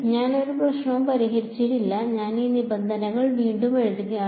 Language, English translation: Malayalam, I have not solved any problem I am just re writing these terms